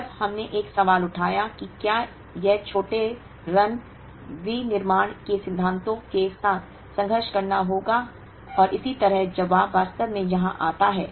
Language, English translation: Hindi, When we raised a question, whether it would conflict with the principles of smaller run manufacturing and so on, the answer actually comes here